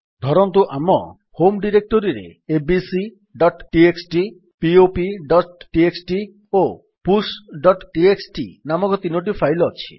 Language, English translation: Odia, Suppose we have 3 files named abc.txt, pop.txt and push.txt in our home directory